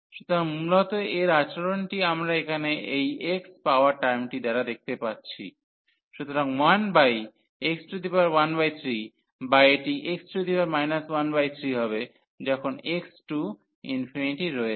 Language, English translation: Bengali, So, mainly the behaviour of this we can see by this term here which is a x power, so 1 over x power 1 by 3 or this is x power minus 1 by 3 as x approaches to infinity